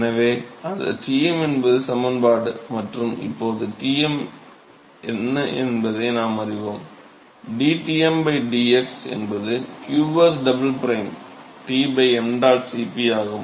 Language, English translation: Tamil, So, that is the expression for Tm and so, now, we know that Tm; dTm by dx is qs double prime T by mdot Cp